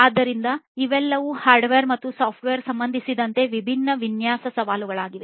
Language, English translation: Kannada, So, all of these are different design challenges with respect to hardware and software